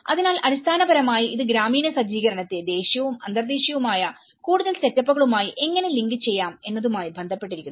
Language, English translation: Malayalam, So, it basically it is relating how rural set up could be linked with much more of a national and international setups